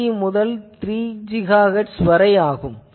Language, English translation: Tamil, 3 to 3 GHz